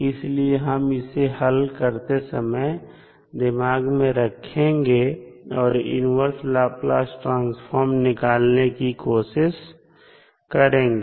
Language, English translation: Hindi, So, we will keep this in mind and try to solve the, try to find out the inverse Laplace transform, Fs